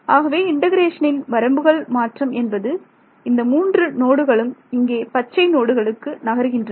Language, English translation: Tamil, So, the limits of integration all those three nodes they move to these green nodes